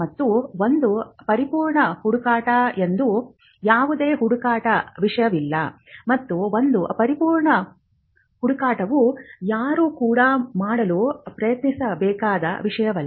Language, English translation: Kannada, And there is no search thing as a perfect search, and a perfect search is not something which anybody should even endeavor to do